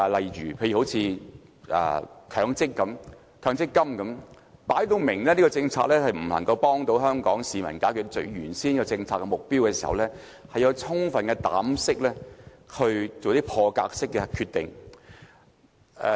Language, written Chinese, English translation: Cantonese, 以強制性公積金計劃為例，很明顯這項政策不能幫助香港市民解決原先的政策目標，所以特首要有充分膽識做破格決定。, Taking the Mandatory Provident Fund MPF scheme as an example obviously this policy fails to achieve the original policy intent to help the people so the Chief Executive should have the courage to make bold decisions in this respect